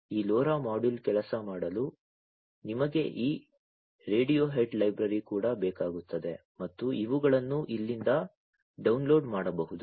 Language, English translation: Kannada, You also need this Radiohead library for this LoRa module to work and these can be downloaded from here